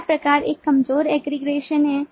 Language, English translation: Hindi, the first time is a weak aggregation